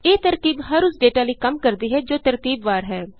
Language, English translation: Punjabi, This trick works for all data that are sequential